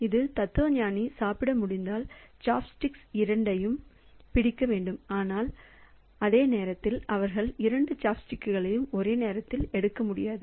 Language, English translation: Tamil, So, for this philosopher to be able to eat so must catch hold of both the chopsticks but at the same time they cannot take both the chopsticks simultaneously so they have to request for chopsticks one after the other